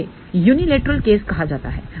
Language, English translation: Hindi, This is also known as a unilateral case